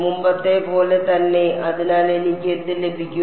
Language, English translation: Malayalam, Same as before right; so, what will I have